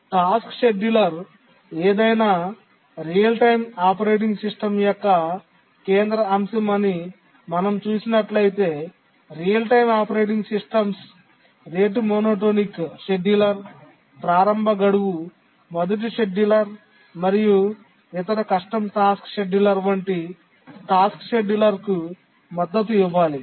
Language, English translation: Telugu, The task scheduling support, it's seen the task scheduler is a central aspect of any real time operating system, and therefore the real time operating system should support task schedulers like rate monotonic scheduler, earliest deadline first scheduler, and other custom task schedulers